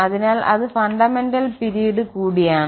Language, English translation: Malayalam, So, that is going to be also the fundamental period